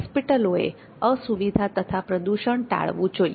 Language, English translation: Gujarati, Hospital should avoid inconvenience and atmospheric pollution